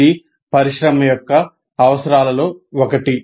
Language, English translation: Telugu, This is one of the requirements of the industry